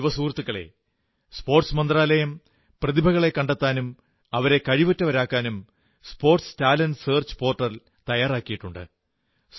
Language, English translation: Malayalam, Young friends, the Sports Ministry is launching a Sports Talent Search Portal to search for sporting talent and to groom them